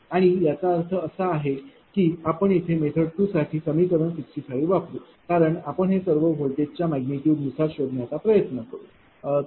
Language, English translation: Marathi, And that; that means, same equation that equation 65 for method 2 only we will use here, because are all will try to find out in terms of your voltage magnitude, right